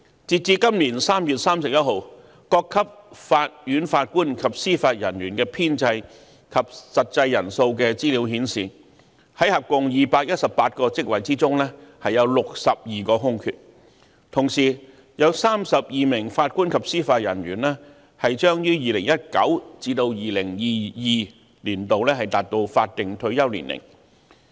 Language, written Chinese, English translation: Cantonese, 截至今年3月31日，各級法院法官及司法人員的編制及實際人數的資料顯示，在合共218個職位中，有62個空缺，同時有32名法官及司法人員將於2019年至2022年達到法定退休年齡。, As at 31 March this year the information on the establishment and strength of JJOs at various levels of courts indicates that there are 62 vacancies out of a total of 218 posts; meanwhile 32 JJOs will reach their statutory retirement ages between 2019 and 2022